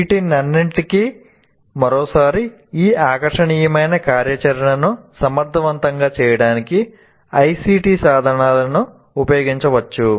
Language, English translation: Telugu, And for all this, once again, ICT tools can be used to make this very, very engaging activity efficient